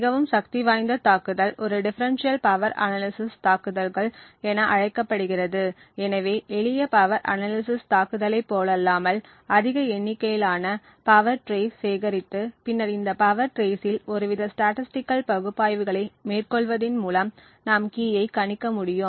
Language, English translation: Tamil, So, a much more powerful attack is known as a Differential Power Analysis attack, so the main concept over here unlike the simple power analysis attack is to collect a large number of power traces and then perform some kind of statistical analysis on these power traces from which we deduce the key